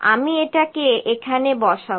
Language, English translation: Bengali, 1 I will put it here